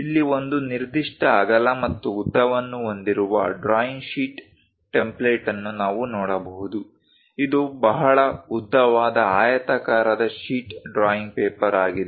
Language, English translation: Kannada, So, here we can see a drawing sheet template having certain width and a length; it is a very long rectangular sheet drawing paper